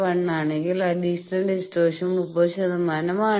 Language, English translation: Malayalam, 1 additional distortion is 30 percent